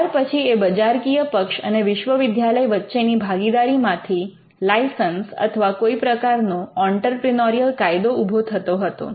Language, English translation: Gujarati, Then the partnership between the commercial entity and the university would lead to some kind of licensing or even some kind of an entrepreneurship rule